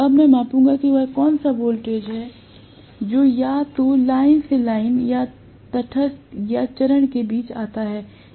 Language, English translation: Hindi, Now, I will measure what is the voltage that comes out either across line to line or across or between the neutral and the phase